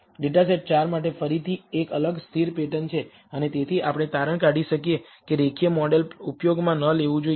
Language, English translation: Gujarati, For data set 4 again there is a distinct constant pattern and therefore, we can conclude that linear model should not be used